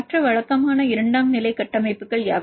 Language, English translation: Tamil, What are the other regular secondary structures